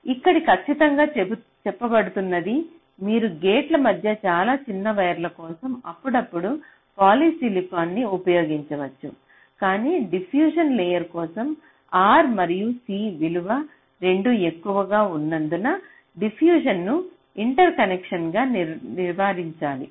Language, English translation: Telugu, so this is exactly what is being mentioned here: that you can use polysilicon occasionally for very short wires between gates, but diffusion should be avoided as interconnections because both r and c values for diffusion layer is high